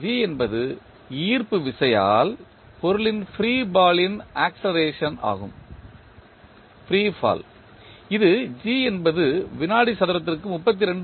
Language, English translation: Tamil, g is the acceleration of free fall of the body due to gravity which is given as g is equal to 32